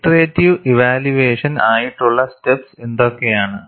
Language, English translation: Malayalam, And what are the steps for an iterative evaluation